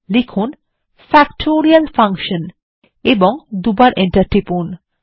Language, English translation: Bengali, Type Factorial Function: and press enter twice